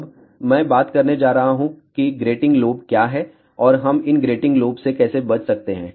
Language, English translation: Hindi, Now, I am going to talk about what is grating lobe and how we can avoid these grating lobes